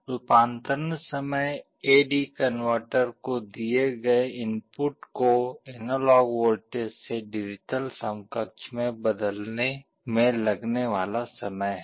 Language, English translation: Hindi, Conversion time is how much time it takes for the A/D converter to convert a given input analog voltage into the digital equivalent